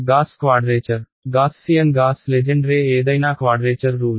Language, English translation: Telugu, Gauss quadrature Gaussian Gauss Legendre any quadrature rule